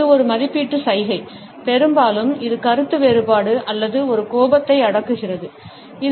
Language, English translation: Tamil, It is an evaluative gesture, often it shows disagreement or an anger which is being suppressed